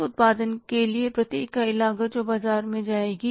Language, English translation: Hindi, Per unit cost of for that production which will go to the market